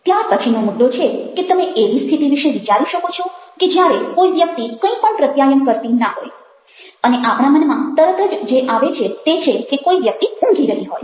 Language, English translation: Gujarati, now, the next point is that can you think of a situation where somebody is not communicating anything and the thing which immediately comes to our mind is that somebody is sleeping